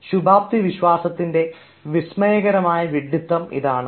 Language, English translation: Malayalam, such is the astounding stupidity of optimism